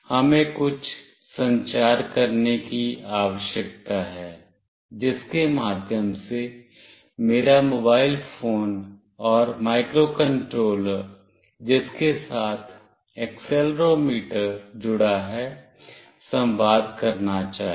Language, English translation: Hindi, We need to have some communication through which my mobile phone and the microcontroller with which it is connected with the accelerometer should communicate